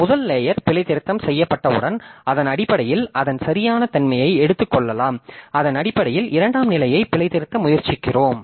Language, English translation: Tamil, So, once the first layer is debugged, so based on that we can, we assume its correctness and based on that we try to debug the second level, then that can go on